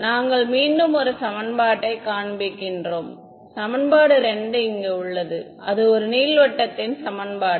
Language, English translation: Tamil, We can show you that equation once again equation 2 over here that was a equation of a ellipsoid